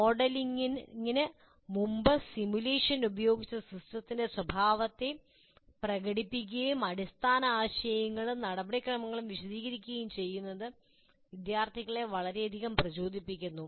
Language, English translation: Malayalam, Demonstration of behavior of the system using simulation before modeling and explaining the underlying concepts and procedures is greatly motivating the students